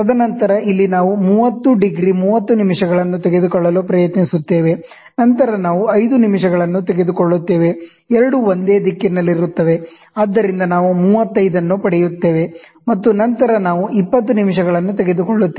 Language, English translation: Kannada, And then, here we try to take 30 degrees 30 minutes, and then we also take 5 minutes both are in the same direction, so we get 35, and then we also take 20 minutes